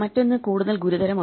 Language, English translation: Malayalam, The other thing is much more serious